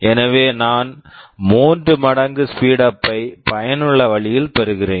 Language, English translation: Tamil, So, I am getting a 3 times speed up effectively